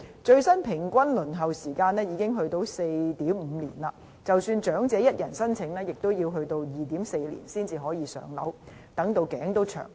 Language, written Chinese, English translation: Cantonese, 最新的平均輪候時間已達 4.5 年，即使長者一人申請，平均也要 2.4 年才可以"上樓"，真的等到"頸都長"。, According to the latest figures the average waiting time has gone up to 4.5 years . Even for singleton elderly applicants on the Waiting List they must wait 2.4 years on average before allocation which is just too long